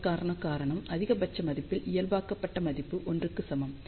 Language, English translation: Tamil, The reason for that is normalized value of this is equal to 1 for maximum value